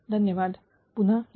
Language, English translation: Marathi, Thank you will be coming